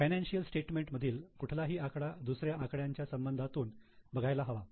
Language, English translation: Marathi, So, any figure in the financial statement needs to be seen in relation to others